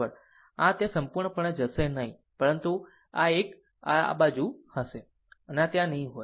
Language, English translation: Gujarati, And this will not be there completely gone, but this one, this one, this side will be there, this will not be there